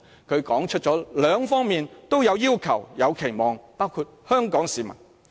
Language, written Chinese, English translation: Cantonese, "他指出了兩方面都有要求、有期望，包括香港市民。, He said that both sides have their demands and expectations including the Hong Kong citizens